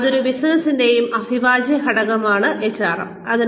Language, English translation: Malayalam, So, HRM is an essential integral part of any business